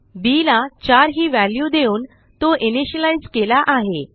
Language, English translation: Marathi, We have initialized b, by assigning a value of 4 to it